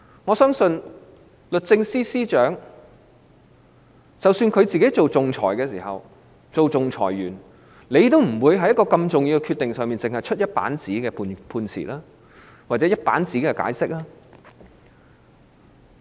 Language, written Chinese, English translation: Cantonese, 我相信，律政司司長當仲裁員的時候，也不會就如此重要的決定，作出只有一頁紙的判詞或解釋。, I believe that when the Secretary for Justice was an arbitrator she would not make a one - page judgment or explanation on such an important decision